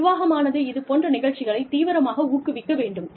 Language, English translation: Tamil, The management should actively promote, these programs